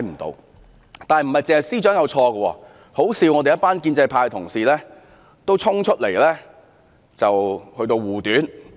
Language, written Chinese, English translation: Cantonese, 然而，不止司長有錯，可笑的是，一群建制派同事也衝出來護短。, Nevertheless not only the Secretary made the mistake . The more ridiculous thing is that a bunch of pro - establishment Members stand up to shield her faults